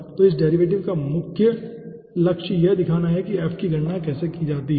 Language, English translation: Hindi, so main target of this derivation is to show how f can be calculated